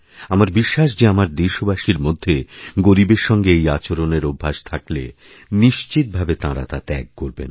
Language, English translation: Bengali, I am certain that my countrymen, if they are in the habit of behaving in this way with the poor will now stop doing so